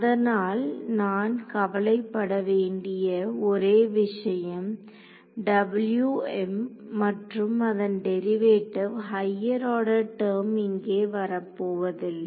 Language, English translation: Tamil, So, I have to only worry about W m and its derivatives no higher order term is coming over here